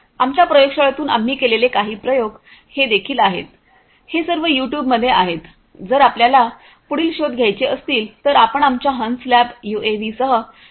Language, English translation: Marathi, This is also from our lab you know some experiments that we have performed, these are all there in YouTube if you want to search further you know you can search with our lab name swan lab UAVs